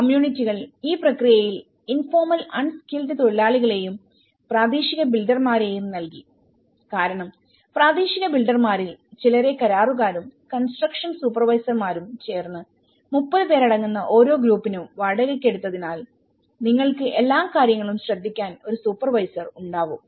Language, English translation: Malayalam, The communities they also provided some kind of informal the unskilled labour at this process and the local builders because for a group of the some of the local builders were hired by the contractors and the construction supervisors for every group of 30 so, you have one supervisor who is looking at it